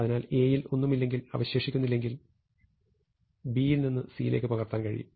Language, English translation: Malayalam, So if there is a no element left in A, then I can just copy the rest of B into C